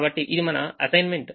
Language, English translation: Telugu, so we make this assignment